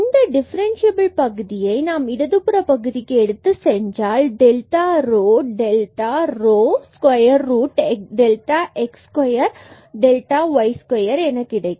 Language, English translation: Tamil, And if we take this differential term to the left hand side, and divide by this delta rho, delta rho is given as square root of delta x square plus delta y square